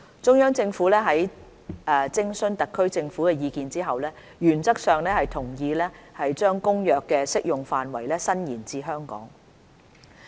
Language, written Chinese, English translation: Cantonese, 中央政府在徵詢特區政府的意見後，原則上同意把《公約》的適用範圍延伸至香港。, Upon consultation with the HKSAR Government the Central Government has agreed in principle to extend the application of CCAMLR to Hong Kong